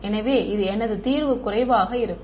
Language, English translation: Tamil, So, my solution will be sparse